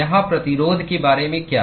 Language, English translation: Hindi, What about the resistance here